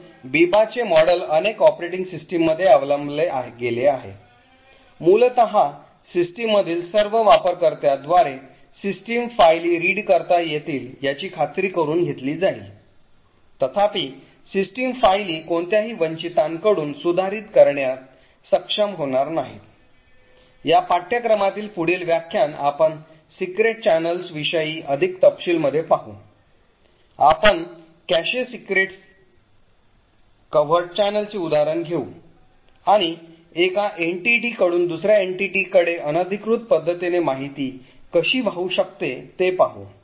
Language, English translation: Marathi, So the Biba model as such is adopted in several operating systems, essentially it would ensure that system files can be read by all users in the system, however the system files will not be able to be modified by any of the underprivileged users, in the next lecture in this course we will look at more details about covert channels, we will take an example of a cache covert channel and see how information can flow from say one entity to another entity in an unauthorised manner